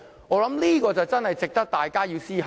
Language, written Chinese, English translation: Cantonese, 我認為這確實值得大家思考。, I think we do need to give it some thought